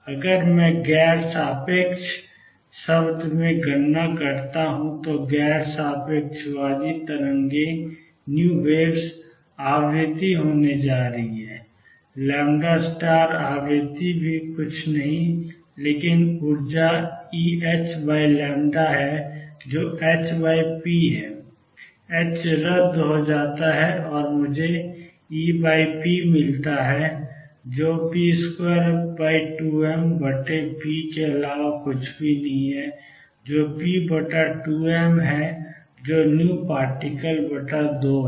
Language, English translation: Hindi, If I do a calculation in non relativistic term non relativistic v waves is going to be the frequency, times lambda frequency is nothing but energy E over h times lambda which is h over p, h cancels and I get E over p which is nothing but p square over 2 m over p, which is p over 2 m which is v particle over 2